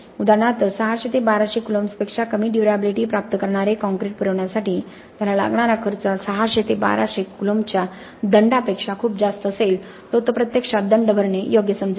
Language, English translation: Marathi, For example if the cost for him to provide concrete that achieves a durability of less than 600 coulombs is much higher than the penalty that it is going to pay for 600 to 1200 coulombs it may be a worthwhile proposition to actually pay the penalty and go with a different characteristic of the concrete